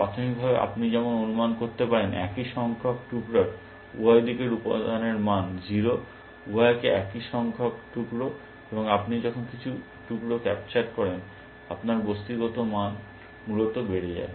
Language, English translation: Bengali, Initially as you can guess, both sides of the same number of pieces a value of material value is 0, both are the same number of pieces, but as you capture some pieces, your material value goes up essentially